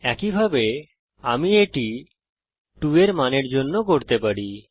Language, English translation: Bengali, Similarly I can do that for the To value